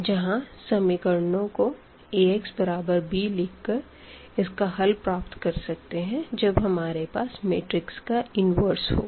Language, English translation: Hindi, We have also the matrix inversion method where this Ax is equal to b this system we can solve once we have the inverse of the matrix